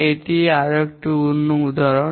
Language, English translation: Bengali, This is another example